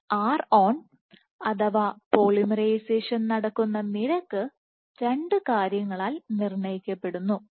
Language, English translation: Malayalam, So, this ron, this ron the rate at which polymerization happens is dictated by two things